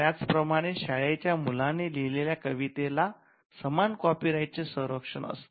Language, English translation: Marathi, And similarly, poems written by an school kid would have similar protection copyright protection over the work